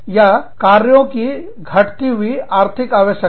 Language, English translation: Hindi, Or, diminishing economic need for the work